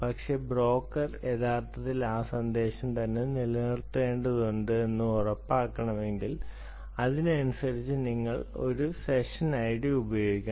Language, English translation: Malayalam, so, but if you want to ensure that the broker actually has to retain that message on itself, then you use this session id accordingly